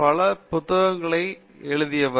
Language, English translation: Tamil, He is the author of numerous books